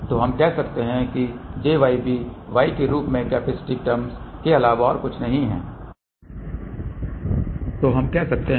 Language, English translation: Hindi, So, we can say that j y b is nothing but capacitive term in the form of y, ok